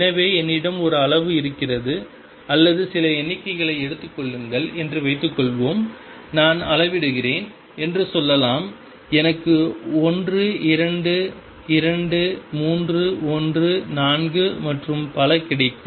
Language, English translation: Tamil, So, suppose I have a quantity or say take some numbers, let us say I measure and I get 1 2 2 3 1 4 and so on